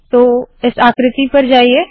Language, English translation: Hindi, So lets go to this figure